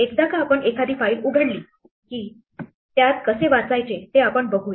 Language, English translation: Marathi, Once we have a file open, let us see how to read